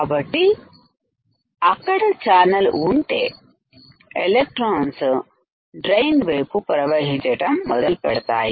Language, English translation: Telugu, So, if there is a channel, electrons will start flowing towards the drain